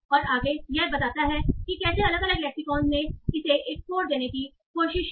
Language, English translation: Hindi, And further it tells you how different lexicons try to assign a score to this